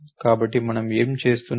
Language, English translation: Telugu, So, what are we doing